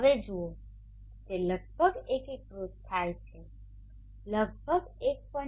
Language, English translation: Gujarati, So here you see that it has integrated to around 1